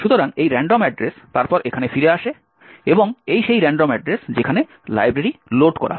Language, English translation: Bengali, So, this random address then returns here and at this random address is where the library is loaded